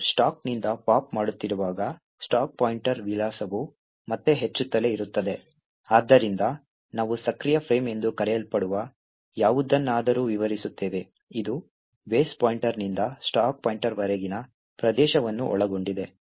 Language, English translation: Kannada, While as we pop from the stack, the stack pointer address keeps incrementing again, so we further define something known as an active frame which comprises of the region between the base pointer to the stack pointer